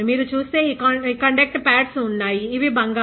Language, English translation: Telugu, See if you see, this conduct pads are there, these are gold